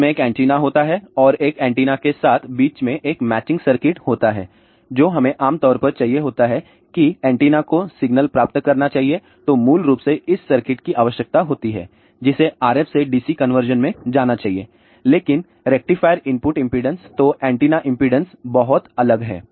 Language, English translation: Hindi, It has an antenna then along with an antenna, there is a matching circuit in between, basically this circuit is required what we generally need is an antenna should receive the signal and that should go to RF to DC conversion, but the rectifier input impedance is very different then the antenna impedance